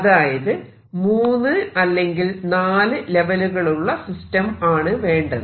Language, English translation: Malayalam, So, go to a three or four level system